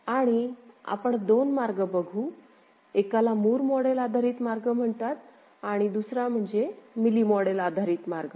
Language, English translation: Marathi, And we shall take two routes; one is called Moore model based route another is Mealy model based route